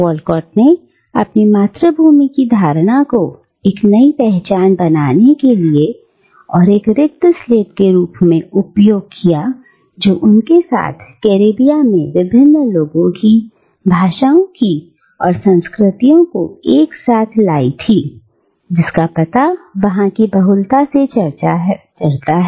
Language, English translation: Hindi, And Walcott uses the notion of his homeland as a blank slate to forge a new identity that brings together the traces of all the multiplicity of peoples, of languages, of cultures, that had come together in the Caribbean